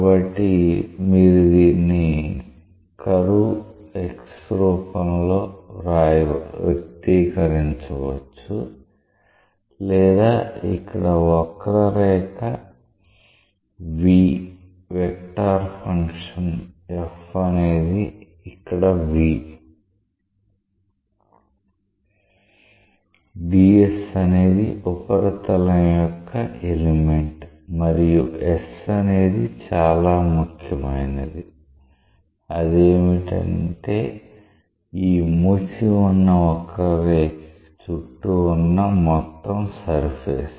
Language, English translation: Telugu, So, you can express this in terms of curve X or here the curve V where the vector function f is here V where s is an element of the surface d s is an element of the surface and s is that total surface that is bounded by this closed curve that is very very important